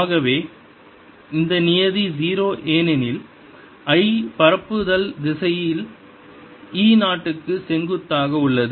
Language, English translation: Tamil, so this term is zero because i, the propagation direction, is perpendicular to e zero